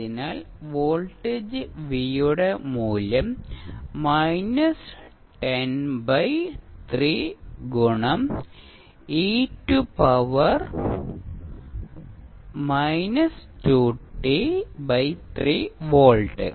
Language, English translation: Malayalam, sSo you will get value of voltage V is nothing but minus 10 by 3 into e to the power minus 2t by 3 volts